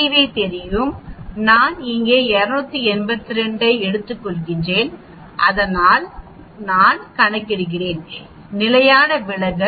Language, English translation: Tamil, I know CV, I take 282 here x bar so I calculate s that is the standard deviation